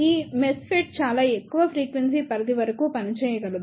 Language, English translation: Telugu, These MESFET cannot operate up to very high frequency range